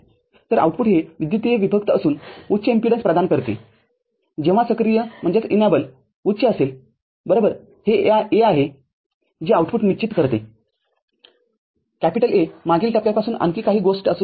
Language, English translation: Marathi, So, output is electrically isolated offering high impedance and only when enable is high – right, it is A which decides the output, A could be many other things from the previous stages